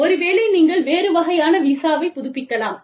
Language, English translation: Tamil, Maybe, you renew a different kind of visa